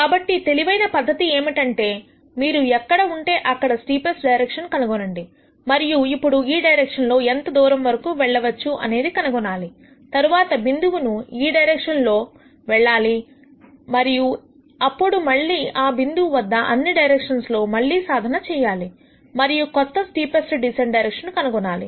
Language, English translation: Telugu, So, smarter strategy would be to find the steepest direction at wherever you are and then find how long you are going to move along this direction, go to the next point in the direction and then at that point reevaluate all the directions, and then nd new steepest descent direction